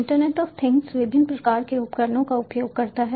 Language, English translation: Hindi, internet of things uses different types of devices